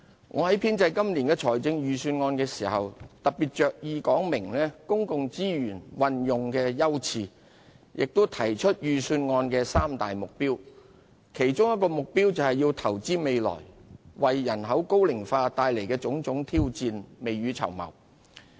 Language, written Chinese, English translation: Cantonese, 我在編製今年的預算案時，特別着意說明公共資源運用的優次，亦提出預算案的三大目標，其一就是投資未來，為人口高齡化帶來的種種挑戰未雨綢繆。, When I prepared this years Budget I laid particular stress on explaining the Governments priorities in using public resources and set forth the three main objectives of the Budget . One of the objectives is to invest for the future to make early preparations for the challenges posed by an ageing population